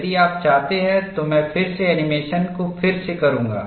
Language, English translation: Hindi, If you want, I will again do redo the animation